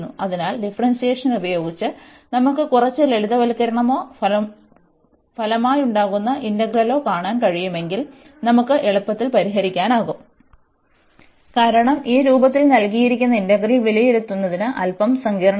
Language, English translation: Malayalam, So, with the differentiation if we can see some a simplification or the resulting integral, we can easily solve then this going to be useful, because the integral given in this form is its a little bit complicated to evaluate